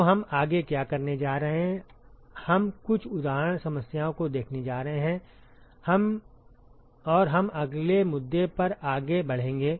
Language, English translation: Hindi, So, what we are going to do next is we are going to look at some example problems and we will march on to the next issue